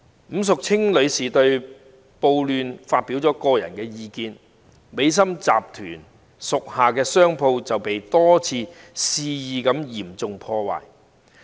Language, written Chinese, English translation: Cantonese, 伍淑清女士在對暴亂發表個人意見後，美心集團屬下的商鋪便被多次肆意嚴重破壞。, After Ms Annie WU expressed some personal views on the riot shops belonging to the Maxims Group have been wantonly vandalized time and again